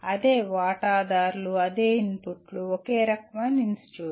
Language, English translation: Telugu, Same stakeholders, same inputs, same kind of institute